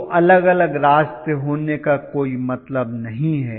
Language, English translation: Hindi, Does not make sense right to have two different paths, right